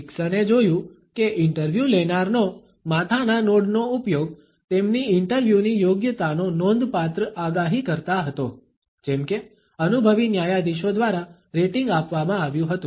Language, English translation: Gujarati, Dickson found that interviewer’s use of head nods was a significant predictor of their interviewing competence, as rated by experienced judges